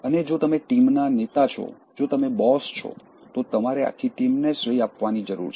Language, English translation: Gujarati, And, if you are the team leader, if you are the boss, you need to give credit to the entire team